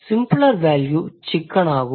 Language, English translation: Tamil, Simpler value is chicken